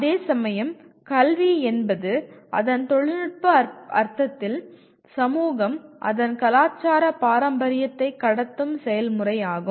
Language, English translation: Tamil, Whereas education in its technical sense, is the process by which society deliberately transmits its “cultural heritage”